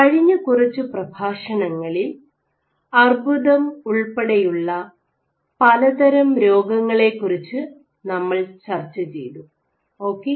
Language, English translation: Malayalam, In the last few lectures we discussed about various diseases including cancer ok